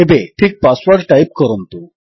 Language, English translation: Odia, Now type the correct password